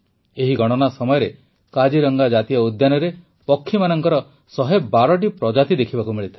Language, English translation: Odia, A total of 112 Species of Birds have been sighted in Kaziranga National Park during this Census